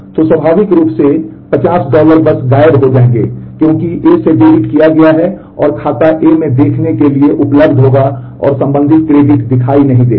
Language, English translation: Hindi, So, naturally 50 dollars will simply disappear because what has been debited from A and will be available to be seen in account A will the corresponding credit will not be visible